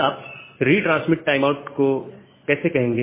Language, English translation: Hindi, So, how will you say this retransmit timeout